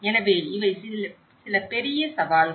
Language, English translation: Tamil, So, these are some major challenges